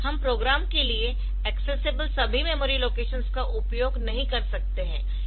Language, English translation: Hindi, So, we cannot use all the memory locations accessible to the program